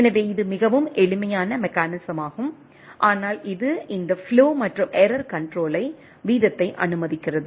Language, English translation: Tamil, So, this is a very simple mechanism, but it this allows for this flow and error control rate